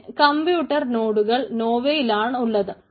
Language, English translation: Malayalam, ah, these are the compute nodes in the nova